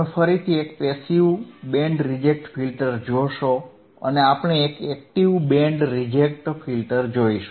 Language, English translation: Gujarati, You will again see a Passive Band Reject Filter and we will see an Active Band Reject Filter all right